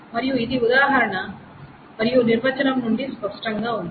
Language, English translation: Telugu, And that is obvious from the example and the definition of this